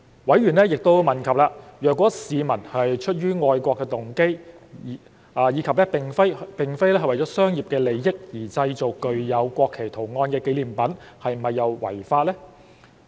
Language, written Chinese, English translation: Cantonese, 委員亦問及，如果市民出於愛國動機及並非為了商業利益而製造了具有國旗圖案的紀念品又是否違法。, In addition some members have enquired whether it is in violation of the law if members of the public make souvenirs bearing the design of the national flag out of a patriotic motive and not for commercial interests